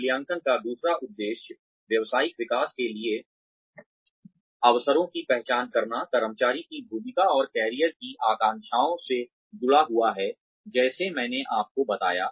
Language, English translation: Hindi, The second aim of appraisal, is to identify opportunities, for professional development, linked to the employee's role and career aspirations like I told you